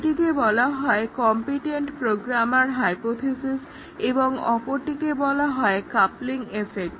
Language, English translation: Bengali, One is called as competent programmer hypothesis and the second is called as the coupling effect